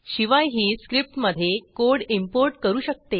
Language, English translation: Marathi, It also imports code into the script